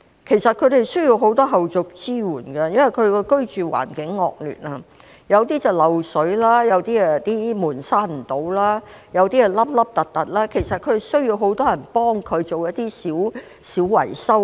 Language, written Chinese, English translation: Cantonese, 其實，他們需要很多後續支援，因為居住環境惡劣，有些是漏水，有些門關不上、凹凸不平，需要很多人幫忙進行一些小維修。, In fact these people need a lot of follow - up support because of the poor living environment . In some SDUs there is water leakage; and in others the doors do not close because of uneven surfaces so they need a lot of help in minor repairs